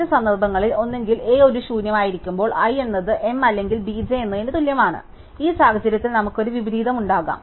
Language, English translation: Malayalam, The other cases when either A is an empty, i is equal to m or B j as a smaller value, in this case we have possibly an inversion